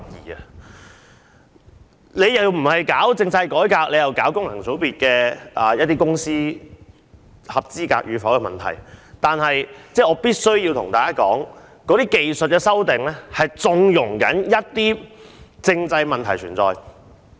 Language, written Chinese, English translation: Cantonese, 如果政府不進行政制改革，只是提出某些組織是否符合功能界別的選民資格，那便是縱容一些政制問題存在。, If the Government does not carry out political reform but only raises the question on whether certain bodies are qualified to be registered as electors of FCs it condones certain constitutional problems